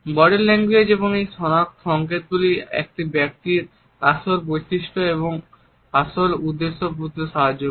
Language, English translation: Bengali, So, these signals of body language help us to understand the true personality and the true intention of a person